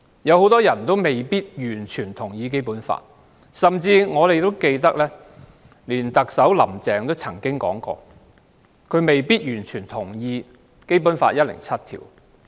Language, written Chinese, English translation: Cantonese, 很多人未必完全同意《基本法》，甚至特首"林鄭"也曾公開表示，她未必完全同意《基本法》第一百零七條。, Many people may not fully agree with the Basic Law and even Chief Executive Carrie LAM had publicly stated that she might not fully agree with Article 107 of the Basic Law